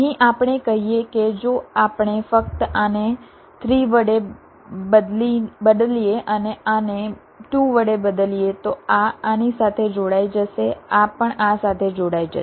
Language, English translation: Gujarati, lets say, if we just replace this by three and this by two, then this will be connected to this